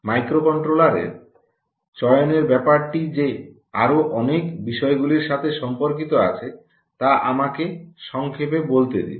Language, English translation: Bengali, let me summarize this choice of microcontroller, um, with so many other related things